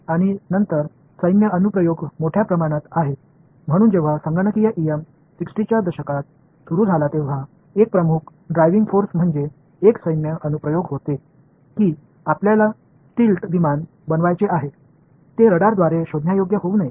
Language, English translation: Marathi, And then there are large amount of military applications so when computational EM started in the 60s, one of the major driving forces were military applications, that you want to make a stealth aircraft it should not be detectable by radar